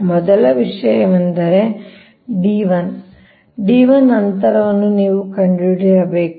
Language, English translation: Kannada, so first thing is that d one, you have to find out that